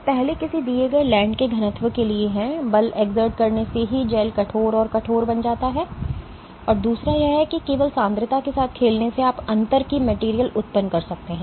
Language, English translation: Hindi, So, first is for a given ligand density just by exerting forces the gels becomes stiffer and stiffer, and the other is that just by playing with the concentration alone you can generate materials of difference differences